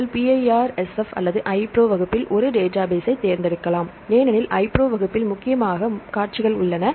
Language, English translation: Tamil, So, here for this is the simple text; so you can select a database at the PIRSF or iPro class because iPro class contains the mainly sequences